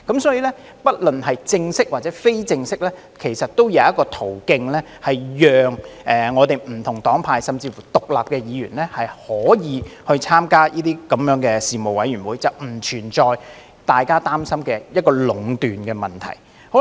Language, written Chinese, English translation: Cantonese, 所以，不論是正式或非正式的途徑，其實我們都是有的，讓不同黨派甚至乎獨立的議員可以參加事務委員會，並不存在大家擔心的壟斷問題。, Therefore in fact we already have such mechanisms in place be they formal or informal to allow Members from different parties and camps and even independent Members to join the Panels . There is no such problem as domination that some Members are worried about